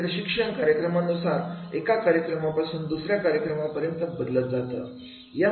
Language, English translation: Marathi, It will vary from the one training program to the another training program